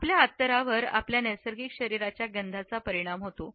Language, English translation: Marathi, Our scent is influenced by our natural body odor